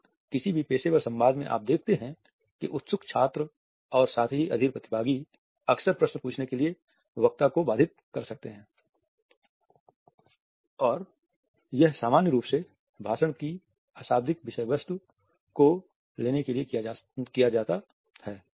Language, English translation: Hindi, And often you would find that impatient students as well as impatient participants in any professional dialogue, can of an interrupt the speaker to ask the questions and this is normally done to pick up the non verbal accompaniments of speech